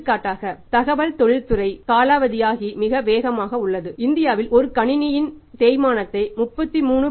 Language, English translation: Tamil, For example industry in the IT industry the option is very fast we depreciate a computer system in India at the rate of 33